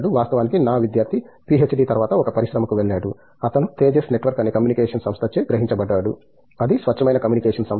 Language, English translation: Telugu, In fact, my student went to an industry just after PhD, he was observed in Tejas Networks for which is a communication, pure communication company